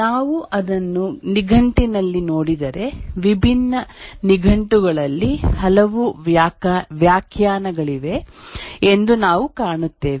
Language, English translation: Kannada, If we look up in the dictionary, we'll find there are many definitions in different dictionaries